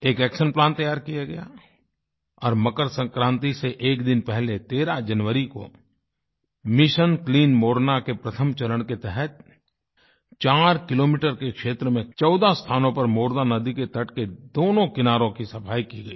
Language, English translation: Hindi, An action plan was chalked out and on January 13 th a day before MakarSankranti, in the first phase of Mission Clean Morna sanitation of the two sides of the bank of the Morna river at fourteen places spread over an area of four kilometers, was carried out